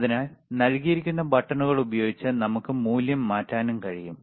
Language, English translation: Malayalam, So, we can also change the value using the buttons given